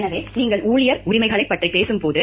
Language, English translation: Tamil, So, when you are talking of employee rights